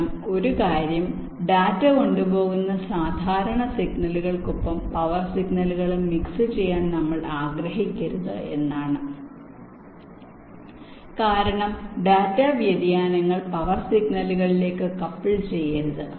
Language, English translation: Malayalam, this also is a very important problem, because one thing is that we should not want to mix the power signals along with the normal signals that carry data, because data variations must not couple into the power signals and generate power supply variations